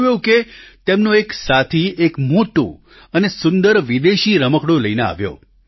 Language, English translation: Gujarati, It so happened that one of his friends brought a big and beautiful foreign toy